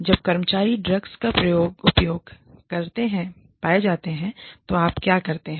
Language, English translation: Hindi, What you do, when employees are found to have been, using drugs